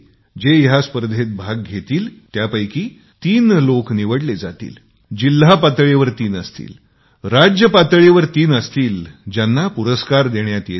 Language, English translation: Marathi, The best three participants three at the district level, three at the state level will be given prizes